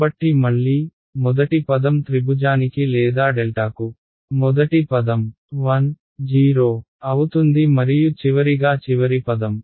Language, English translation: Telugu, So again, first term will be a 1, 0 to triangle or delta first term and finally, the last term right